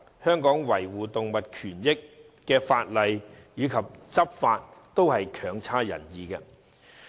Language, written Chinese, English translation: Cantonese, 香港維護動物權益的法例及執法，均成效不彰。, In Hong Kong the laws on protecting animal rights are inadequate and law enforcement is ineffective